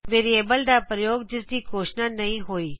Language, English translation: Punjabi, Use of variable that has not been declared